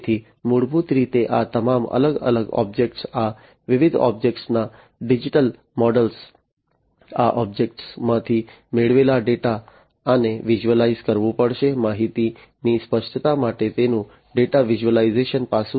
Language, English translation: Gujarati, So, basically you know all these different objects, the digital models of these different objects, the data that are procured from these objects, these will have to be visualize, the data visualization aspect of it for information clarity